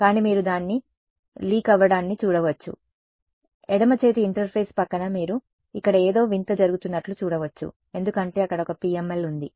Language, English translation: Telugu, But you can see its leaking out, next to the left hand side interface you can see there is something strange happening over here that is because there is a